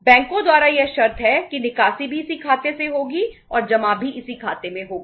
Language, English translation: Hindi, This is the condition by the banks that withdrawal will also be from this account and deposit will also be in this account